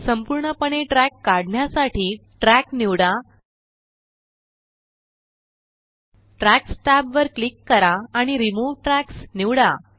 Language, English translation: Marathi, To remove a track completely, select the track, click on Tracks tab and select Remove Tracks